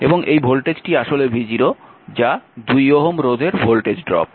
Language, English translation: Bengali, 5 v 0, and this voltage actually is v 0 that is the across 2 ohm resistor